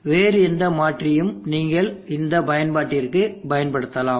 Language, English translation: Tamil, It could be any other converter which you are using for the application